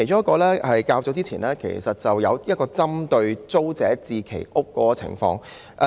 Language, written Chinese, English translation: Cantonese, 較早前，有一則針對租者置其屋計劃的報道。, Earlier on there was a news report about the Tenants Purchase Scheme TPS